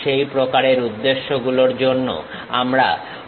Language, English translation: Bengali, For that kind of purpose we use half section